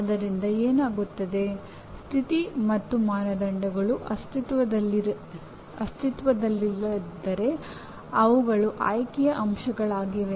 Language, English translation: Kannada, So what happens, condition and criterion they are optional elements if they do not exist